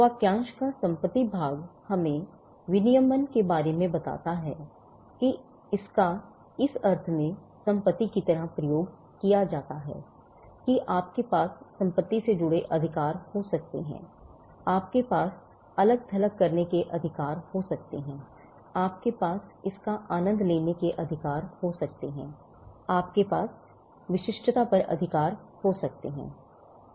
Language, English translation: Hindi, The property part of the phrase tells us about regulation that it is treated like property in the sense that you can have rights associated with property, you can have rights to alienated, you can have rights to enjoy it, you can have rights to exclusivity over it